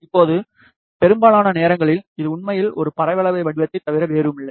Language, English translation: Tamil, Now, most of the time, it is actually nothing but a parabolic shape